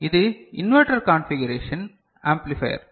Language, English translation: Tamil, So, this is the inverter configuration amplifier